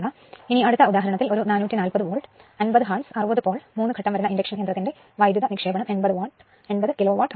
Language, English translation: Malayalam, Now, next example the power input to the rotor of a 440 volt, 50 hertz 60 pole, 6 pole, your 3 phase induction motor is 80 kilo watt